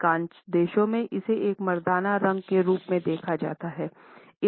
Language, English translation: Hindi, In most countries, it is viewed as a masculine color